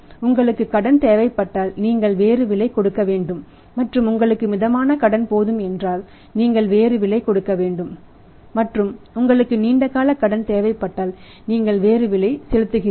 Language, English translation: Tamil, So, if you want no credit you pay different price you want some credit view pay different price you want a moderate credit you pay a different price and if you want the longest credit of 2 months you pay different price